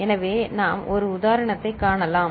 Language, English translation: Tamil, So, we can see one example